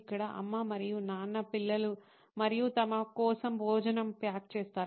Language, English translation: Telugu, So here, mom and dad actually pack lunch for kids and themselves